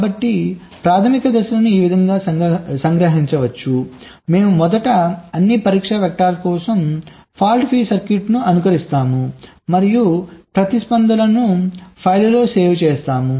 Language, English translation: Telugu, so the basic steps can be summarized like this: we first simulate fault free circuit for all the test vectors and save the responses in a file